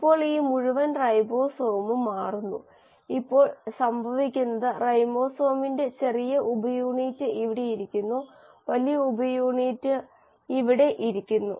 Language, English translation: Malayalam, Now this entire ribosome shifts and what happens is now the ribosome small subunit is sitting here, and the large subunit is sitting here